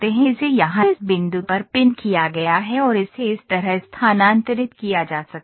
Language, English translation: Hindi, This is it is pinned here at this point it is pinned and it can move like this